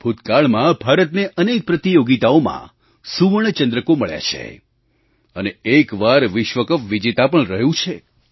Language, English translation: Gujarati, India has won gold medals in various tournaments and has been the World Champion once